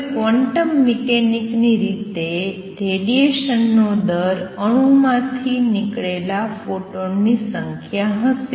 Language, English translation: Gujarati, Now, quantum mechanically, the rate of radiation would be the number of photons coming out from an atom